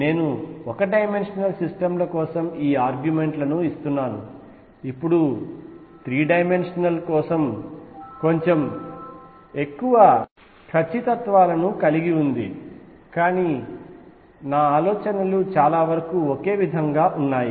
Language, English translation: Telugu, I am giving these arguments for one dimensional systems, now the 3 dimensional has little more certainties, but ideas pretty much the same